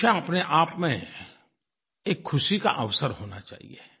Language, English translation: Hindi, Exams in themselves, should be a joyous occasion